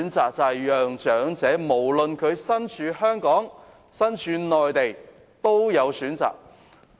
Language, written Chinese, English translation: Cantonese, 那就是讓長者無論身處香港或內地，均能有所選擇。, It means that elderly persons should be able to make their own choice no matter they are physically in Hong Kong or on the Mainland